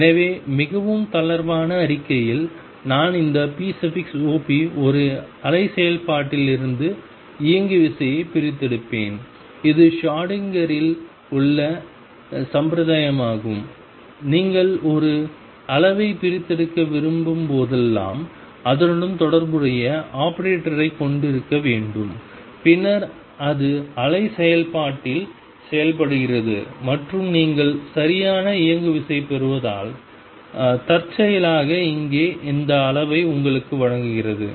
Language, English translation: Tamil, So, in a very loose statement I will just write this p operator extracts the momentum from a wave function and that is the formalism in Schrödinger that whenever you want to extract a quantity it has to have a corresponding operator that then acts on the wave function and gives you that quantity incidentally here since you get exact momentum